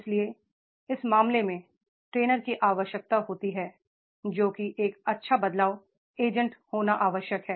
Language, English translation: Hindi, So, therefore in that case the trainer is required to be a good change agent